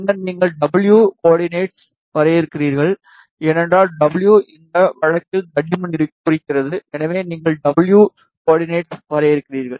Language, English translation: Tamil, And then, you define the W coordinates, because W is representing the thickness in this case, so you define W coordinates